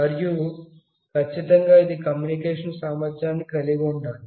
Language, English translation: Telugu, And then of course, it will have communication capability